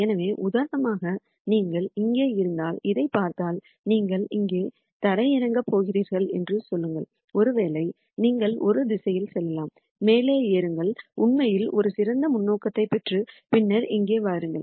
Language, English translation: Tamil, So, for example, if you are here and then say if you look at this you are going to land up here maybe you can go in this direction climb up actually get a better perspective and then come down here